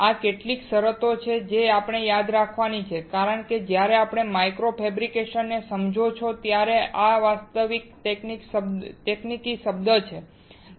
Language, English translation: Gujarati, These are the few terms that we have to remember because these is actual technical terms used when you understand micro fabrication